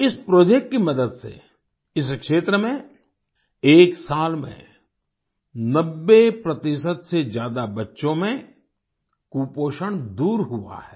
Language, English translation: Hindi, With the help of this project, in this region, in one year, malnutrition has been eradicated in more than 90 percent children